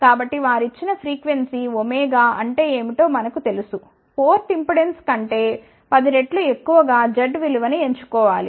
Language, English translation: Telugu, So, for they given frequency we know what is omega, choose the value of z which is 10 times greater than the port impedance